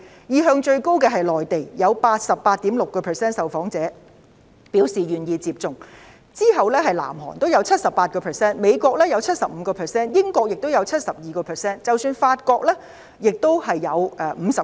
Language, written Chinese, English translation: Cantonese, 意向最高的是內地，有 88.6% 受訪者表示願意接種，然後是南韓，有 78%； 美國的接種意向是 75%； 英國有 72%； 即使是法國，接種意向亦有 59%。, The place having the greatest intention was Mainland where 88.6 % of the respondents indicated willingness to be vaccinated followed by South Korea at 78 % . The intention to be vaccinated in the United States was 75 % whereas that in the United Kingdom was 72 % . Even in France the intention to be vaccinated was 59 %